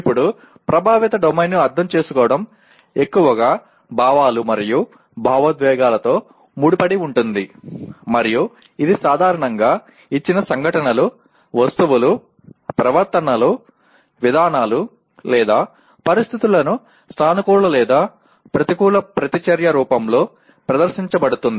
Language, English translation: Telugu, Now, to understand the affective domain is mostly associated with the feelings and emotions and it is usually displayed in the form of positive or negative reaction to given events, objects, behaviors, policies or situations